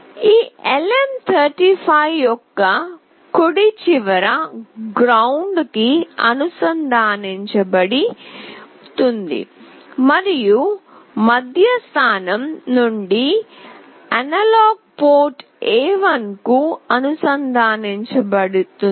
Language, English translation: Telugu, The right end of this LM 35 will be connected to ground, and from the middle position it will be connected to the analog port A1